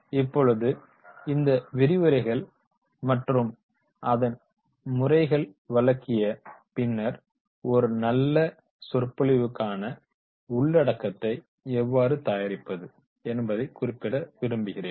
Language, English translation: Tamil, Now, after the delivery of these lectures and types of the lectures, now I will also like specially mention that is the how to prepare the content for a good lecture